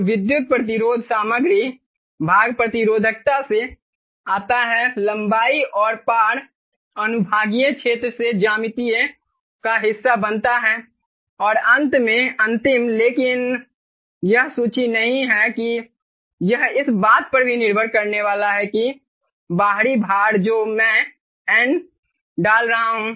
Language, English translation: Hindi, right so the electrical resistances, the material part comes from resistivity, the geometry part forms from the length and cross sectional area and finally, last but not the list, it is also going to depend on what is the external load